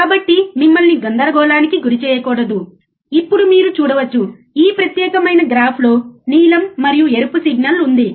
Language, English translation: Telugu, So, just not to confuse you, now you can see, in this particular graph, there is a blue and red signal right